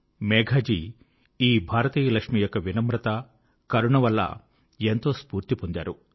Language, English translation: Telugu, Megha Ji is truly inspired by the humility and compassion of this Lakshmi of India